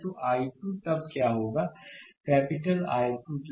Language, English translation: Hindi, So, what will be the i 2 then; capital I 2 then